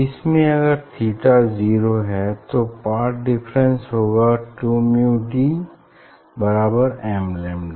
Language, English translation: Hindi, if for this if theta is 0 then 2 mu d equal to m lambda